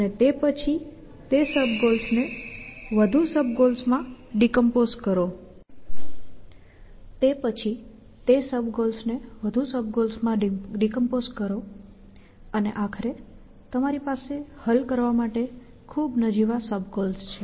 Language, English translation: Gujarati, And then that is a goals into more sub goals and eventually you have trivially sub goals to solve